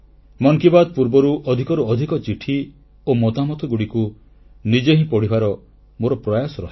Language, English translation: Odia, My effort is that I read the maximum number of these letters and comments myself before Mann Ki Baat